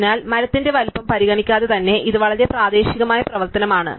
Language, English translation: Malayalam, So, it will be regardless of the size of the tree, it is a very local operation